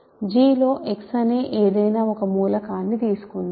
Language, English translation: Telugu, So, let us take an arbitrary element x in G